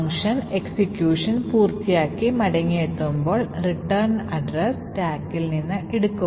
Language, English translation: Malayalam, Now what happens here is that when the function completes it execution and returns, the return address is taken from the stack